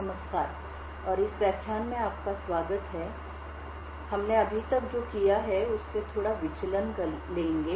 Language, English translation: Hindi, Hello and welcome to this lecture, So, we will take a slight deviation from what we have done So, far